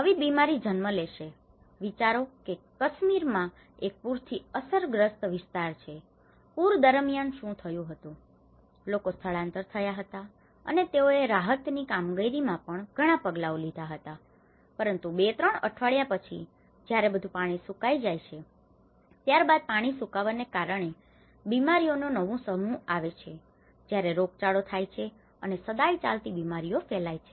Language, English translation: Gujarati, A new diseases will be born, imagine there is a flood affected area in Kashmir, what happened was during the floods, people were migrated, and they have taken a lot of measures in the relief operations but after two, three weeks when the whole water get drained up, then the new set of diseases came when because of the epidemic and endemic diseases spread out when the water drained up